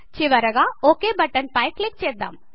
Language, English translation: Telugu, Finally click on the OK button